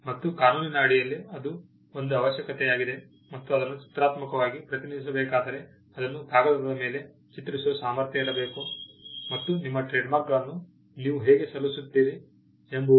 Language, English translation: Kannada, That is a requirement under the law and if it has to be graphically represented, it should be capable of being portrayed on paper, and that is how you file your trademarks